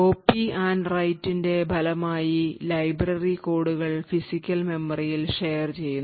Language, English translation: Malayalam, Now as a result of the copy on write, the library codes are eventually shared in the physical memory